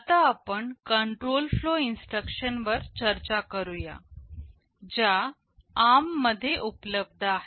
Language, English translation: Marathi, We now discuss the control flow instructions that are available in ARM